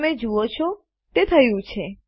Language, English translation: Gujarati, You see it has been